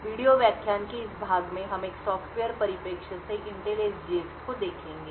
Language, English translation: Hindi, In this part of the video lecture we will look at Intel SGX more from a software perspective